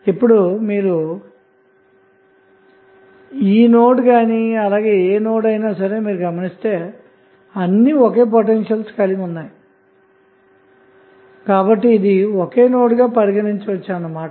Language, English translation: Telugu, Now, if you see this node whether this is a or this node or this node all are act same potentials so eventually this will be considered as a single node